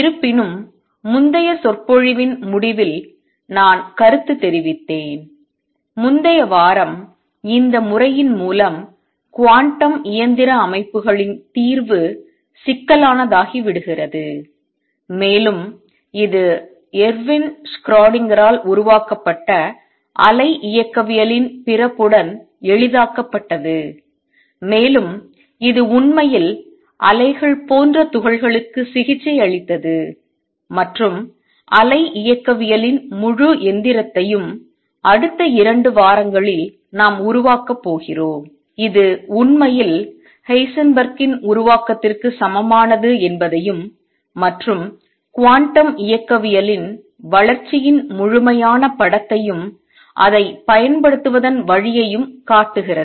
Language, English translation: Tamil, However as I commented towards the end of the last lecture, previous week, solution of quantum mechanical systems through this method becomes complicated and it was made easy with the birth of wave mechanics which was developed by Ervin Schrodinger and it actually treated particles like waves and the full machinery of wave mechanics is what we are going to develop over the next 2 weeks and show that this indeed is equivalent to Heisenberg’s formulation and that kind of complete the picture of development of quantum mechanics and along the way we keep applying it